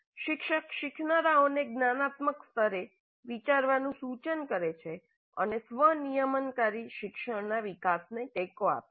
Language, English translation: Gujarati, Promps learners to think at metacognitive level and supports the development of self regulated learning